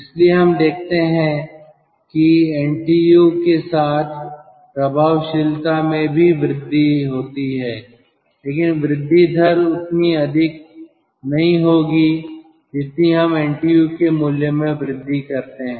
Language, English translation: Hindi, so we see, with the increase of ntu, effectiveness also increases, but the rate of increase will not be that high as we go on increasing the value of ntu